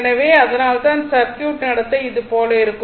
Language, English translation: Tamil, So, that is why circuit behavior is like your this thing